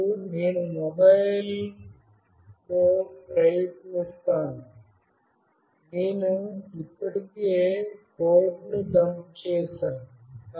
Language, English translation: Telugu, Now I will try out in this mobile, I have already dumped the code